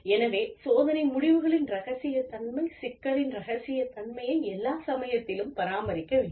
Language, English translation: Tamil, So, confidentiality of test results, confidentiality of the issue, must be maintained, at all costs